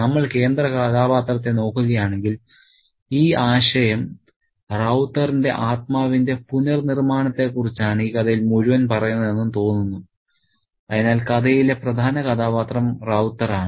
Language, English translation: Malayalam, So, if we look at the central character, then this concept seems to say that the re flowering of the spirit of Ravta is what the story is all about